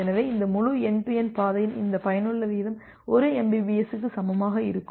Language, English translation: Tamil, So, this effective rate of this entire end to end path will be equal to 1 mbps